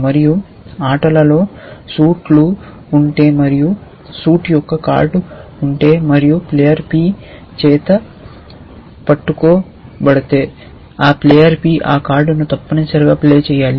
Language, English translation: Telugu, And if the suit in play is s and if there is a card which is of suit s and being held by player p then that player p should play that card essentially